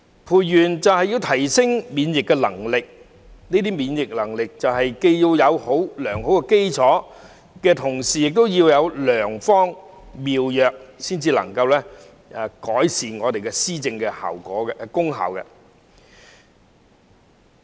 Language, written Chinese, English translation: Cantonese, 培元就是要提升免疫能力，這些免疫能力既要有良好基礎，同時亦要有良方妙藥才能夠改善我們的施政功效。, Nurturing the vitality means to enhance the immunity . It takes a good foundation to build up the immunity and an effective strategy to improve the effectiveness of our policy implementation